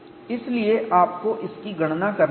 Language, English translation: Hindi, So, you have to calculate that